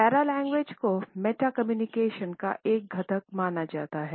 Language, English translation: Hindi, Paralanguage is considered to be a component of meta communication